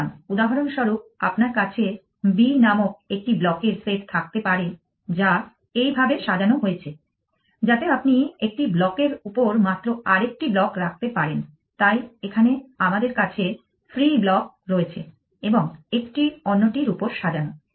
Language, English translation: Bengali, So, for example, you may have a b set of blocks which are arranged like this, so you can keep only one block on another block, so here we have free blocks and filled up one top of the other